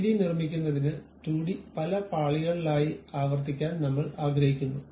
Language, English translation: Malayalam, We would like to repeat that 2D one by several layers to construct 3D one